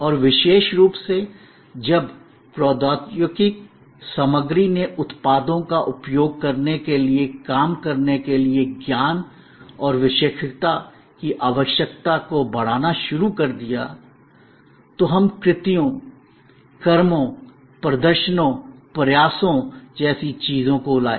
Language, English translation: Hindi, And particularly, when the technology content started increasing the need of knowledge and expertise to operate to use products started augmenting, we brought in things like acts, deeds, performances, efforts